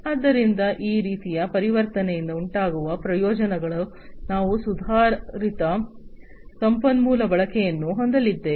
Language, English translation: Kannada, So, the benefits that are going to be resulting from this kind of transitioning is that we are going to have improved resource utilization